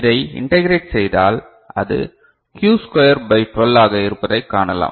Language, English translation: Tamil, And if you integrate, then you can see that it is q square by 12